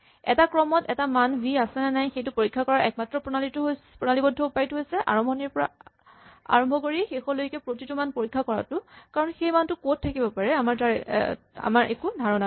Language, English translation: Assamese, The only systematic way to find out v occurs in the sequence or not is to start at the beginning and go till the end and check every value, because we do not have any idea where this value might be